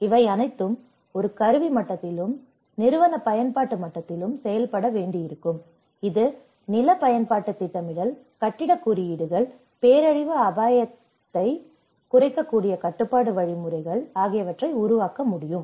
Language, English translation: Tamil, When all these has to work in an instrumental level and also the institutional level, which can formulate land use planning, the building codes, the control mechanisms which can reduce the disaster risk from hazard